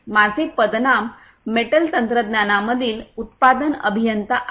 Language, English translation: Marathi, My designation is production engineer in metal technology